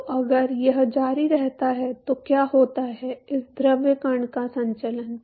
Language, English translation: Hindi, So, if this continues then what happens is the circulation of this fluid particle